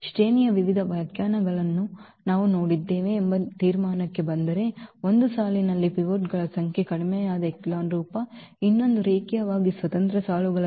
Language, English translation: Kannada, Coming to the conclusion what we have seen the various definitions of the rank, one was the number of pivots in the in the row reduced echelon form, the other one was the number of linearly independent rows